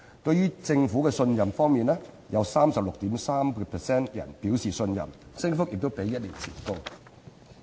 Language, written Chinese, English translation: Cantonese, 對政府信任度方面，有 36.3% 表示信任，信任度比一年前高。, Regarding trust in the Government 36.3 % of the respondents indicated trust a percentage higher than that of one year ago